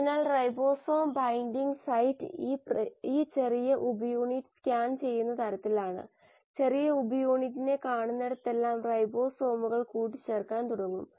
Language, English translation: Malayalam, So the ribosome binding site is kind of scanned by this small subunit and wherever the small subunit will see this, the ribosomes will start assembling